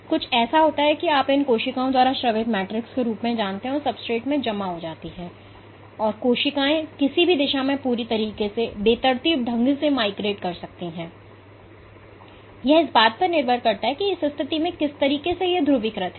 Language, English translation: Hindi, So, there is some you know matrix secreted by the cells which gets deposited into the substrate, and the cells can migrate in any direction completely randomly depending on how it is polarized at that in state